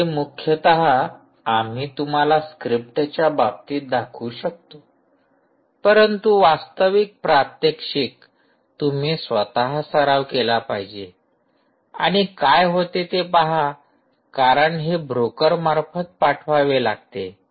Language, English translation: Marathi, so this is mainly what you can, what we can show you in terms of scripts, but a real demonstration would mean that you should actually practice by yourself and see how exactly it happens, because it has to pass through the broker